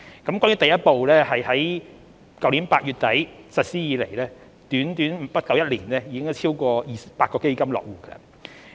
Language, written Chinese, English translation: Cantonese, 就第一步而言，自去年8月底實施以來，在不足一年的短時間內，已有超過200個基金落戶。, Since the introduction of the first step in late August last year over 200 funds have been established in Hong Kong in less than a year